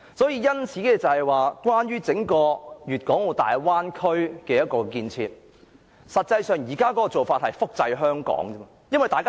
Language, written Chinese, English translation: Cantonese, 因此，整個大灣區的建設，實際上是複製香港的做法。, Hence the entire construction of the Bay Area is actually an attempt to copy Hong Kong